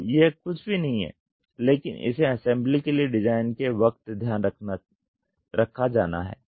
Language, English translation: Hindi, So, this is nothing, but design for assembly is taken care